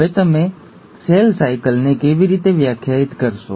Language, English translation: Gujarati, Now, how will you define cell cycle